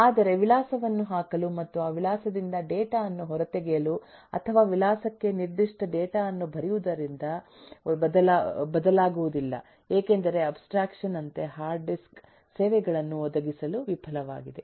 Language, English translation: Kannada, but my interface of being able to put an address and get the data out from that address or write a specific data to an address cannot change, because then the hard disk as an abstraction fails to provide the services